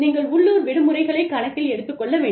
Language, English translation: Tamil, You have to take, local holidays into account